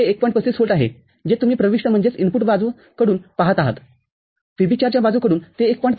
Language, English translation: Marathi, 35 volt that you see from the input side from VB4 side it is 1